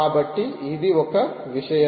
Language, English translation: Telugu, so this is one